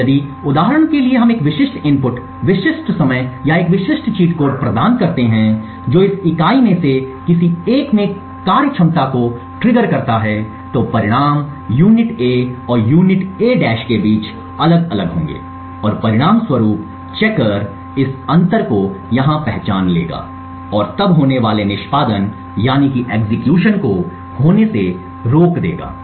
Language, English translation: Hindi, Now if for example we provide a specific input specific time or a specific cheat code which triggers a functionality in one of this units then the results would be different between unit A and unit A’ and as a result this checker over here would identify the difference and then stop the execution form occurring